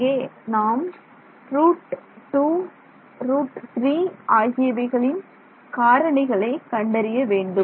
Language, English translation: Tamil, So, here you will find factors of root 2, root 3 etc